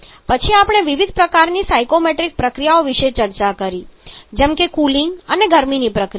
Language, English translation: Gujarati, Then we are discuss about different kind of psychrometric processes like the sensible cooling and heating process